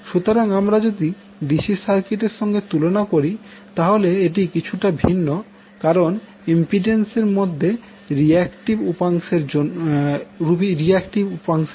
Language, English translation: Bengali, So, if you compare from the DC circuit this is slightly different because of the introduction of reactive component in the impedance